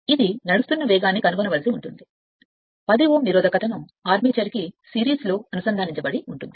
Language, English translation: Telugu, You have to find the speed at which it will run it take 10 ohm resistance is connected in series with it is armature